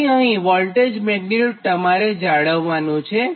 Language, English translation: Gujarati, so these are actually voltage magnitude